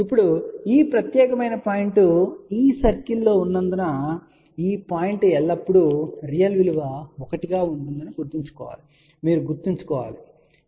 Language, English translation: Telugu, Now, since this particular point lies on this circle, remember this point will always be a real value be one a few things you have to remember